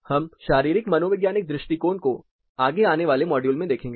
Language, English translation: Hindi, We will look about this physio psychological approach in the next you know one of the future modules